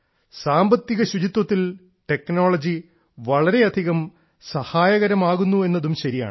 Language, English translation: Malayalam, It is true that technology can help a lot in economic cleanliness